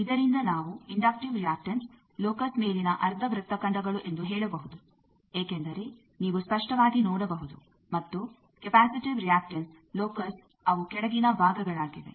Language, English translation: Kannada, From this we can say that inductive reactance locus are upper half arcs as you can see clearly and capacitive reactance locus they are the lower parts